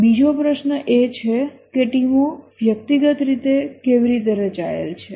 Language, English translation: Gujarati, The other question is that how the teams individually are structured